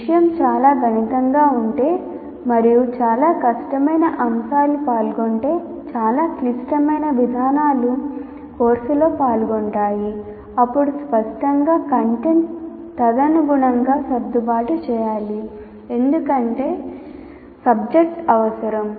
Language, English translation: Telugu, If the subject is highly mathematical and also very difficult concepts are involved or very complex procedures are involved in the course, then obviously the content will have to be accordingly adjusted not because the subject requires that